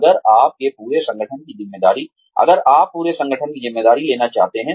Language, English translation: Hindi, If you want to take on the responsibility of the entire organization